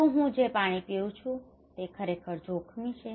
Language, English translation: Gujarati, Is it risky is the water I am drinking is it really risky